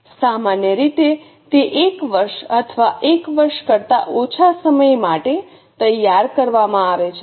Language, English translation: Gujarati, Typically it is prepared for one year or less than one year